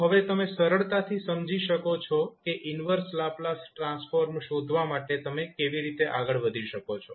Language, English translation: Gujarati, So, now you can easily understand that how you can proceed with finding out the inverse Laplace transform